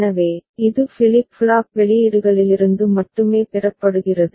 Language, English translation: Tamil, So, it is solely derived from the flip flop outputs